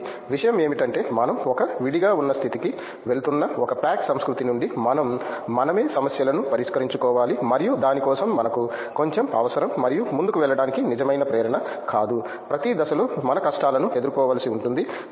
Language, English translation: Telugu, So, the thing is we have to from a like a pack culture we are going in to an isolated state where we have to solve problems by ourselves and for that we need a little bit of and not a little bit a real motivation to go on further will face like difficulties our at every stage